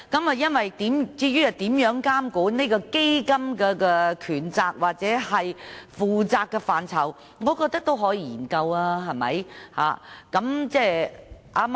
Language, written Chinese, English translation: Cantonese, 至於如何監管基金的權責或負責範疇，我認為是可以研究的。, As for how the powers and responsibilities of the fund should be regulated I think it can be studied